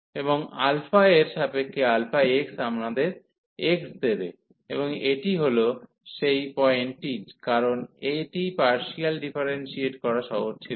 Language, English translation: Bengali, And this alpha x with respect to alpha will give us x, and that is exactly the point, because this was not easy to differentiate partially